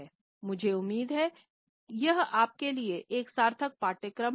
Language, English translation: Hindi, I hope that it has been a meaningful course to you